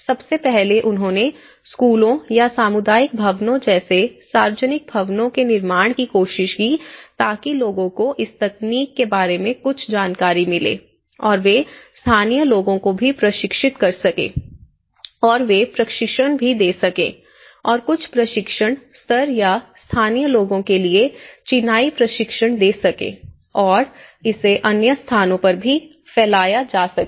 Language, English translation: Hindi, First, they did was, they tried to construct the public buildings like schools or the community buildings so that people get some awareness of this technology and they could also train the local people, they could also train, give some training sessions or the masonry training sessions to the local people so that it can be spread out to the other places as well